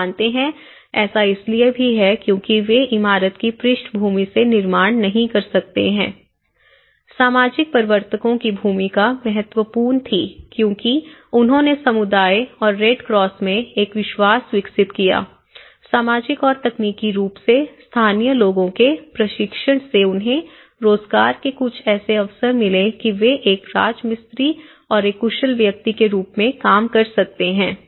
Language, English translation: Hindi, You know, that is also because they may not be building from the building background, role of social promoters was a crucial importance because they had developed a trust between the community and the Red Cross, training of local people in social and technically so that has given them some kind of employment scope that they can work as a masons they can work as a skilled persons